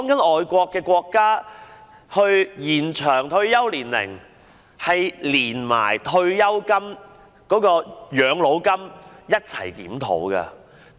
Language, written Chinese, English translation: Cantonese, 外國國家討論延長退休年齡時，是連同退休金或養老金一併檢討的。, In overseas countries the extension of retirement age is discussed together with retirement funds or pensions